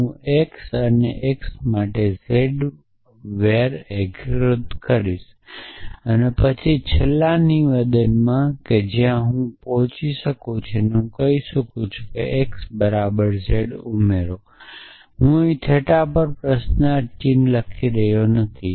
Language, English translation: Gujarati, So, I will call var unify with x and x and z and then in the last statement which I will reached there I will say add x is equal to z I am not writing the question mark here to theta